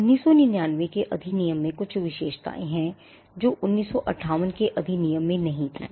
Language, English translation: Hindi, The 1999 act has certain features which were not there in the 1958 act